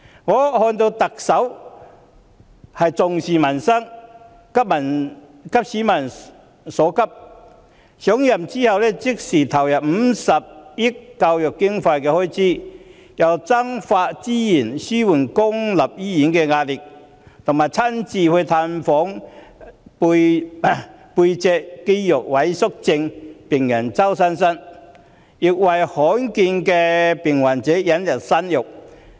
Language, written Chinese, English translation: Cantonese, 我看到特首重視民生，急市民所急，上任後隨即投入50億元增加教育經常開支，增撥資源紓緩公立醫院的壓力，又親自探訪脊髓肌肉萎縮症病人周佩珊，並為罕見病患者引入新藥。, From what I have seen the Chief Executive has attached importance to peoples livelihood and addressed the pressing needs of the public . In addition to increasing the recurrent expenditure on education by 5 billion shortly after inauguration she has allocated additional resources to easing the pressure on public hospitals visiting spinal muscular atrophy patient Josy CHOW in person and introducing new drugs for patients suffering from rare diseases